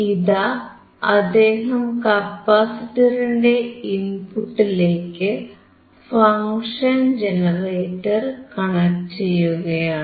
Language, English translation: Malayalam, So, he is right now connecting the function generator to the input of the capacitor